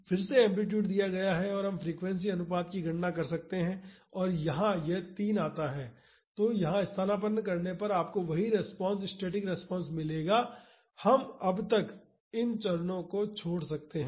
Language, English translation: Hindi, Again the amplitude is given frequency ratio we can calculate and it comes out to be 3, substitute here you will get the same response static response we can skip the steps by now